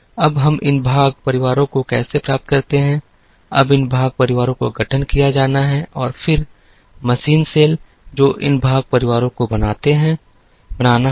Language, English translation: Hindi, Now, how do we get these part families, now these part families have to be formed and then, the machine cells, which make these part families, will have to be created